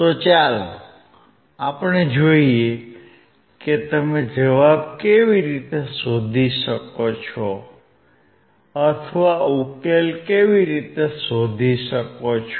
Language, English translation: Gujarati, So, let us see how you can find the answer or why t can find the solution